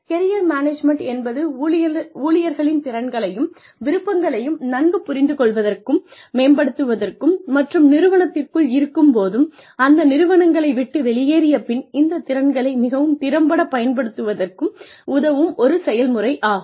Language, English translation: Tamil, Career Management is a process, for enabling employees, to better understand and develop their skills and interests, and to use these skills, most effectively within the company, and after they leave the firm